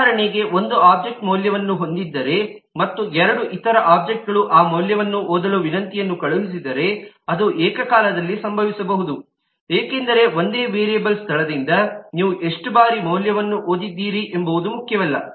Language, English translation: Kannada, for example, if an object has a value and two other object send request to read that value, that can happen simultaneously, because it does not matter how many times you read a value from the same variable location